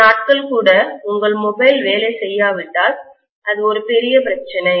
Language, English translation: Tamil, Even for a few days if your mobile does not work, it is a big problem